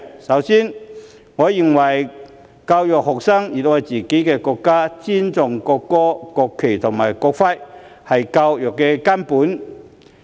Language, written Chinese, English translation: Cantonese, 首先，我認為教育學生熱愛自己的國家，尊重國歌、國旗和國徽，是教育的根本。, First I believe that the essence of education is to teach students to love their own country respect the national anthem national flag and national emblem